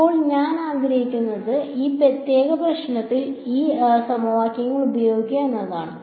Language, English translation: Malayalam, Now, what I would like to do is study this use these equations in this particular problem ok